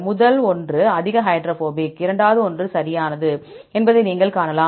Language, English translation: Tamil, You can see first one is highly hydrophobic, right than the second one, right